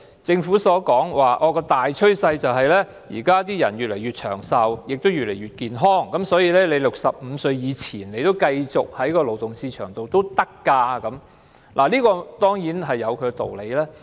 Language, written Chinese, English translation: Cantonese, 政府說現在的大趨勢是人們越來越長壽，越來越健康 ，65 歲前可繼續留在勞動市場，這當然有其道理。, It makes sense for the Government to say that people tend to live longer and healthier and those under 65 years of age can stay in the labour market